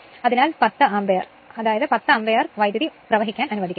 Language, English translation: Malayalam, So, 10 Ampere; that means, you will allow that 10 Ampere current to flow right